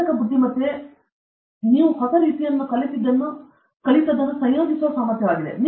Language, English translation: Kannada, Synthetic intelligence is the ability to combine whatever you have learned in a new way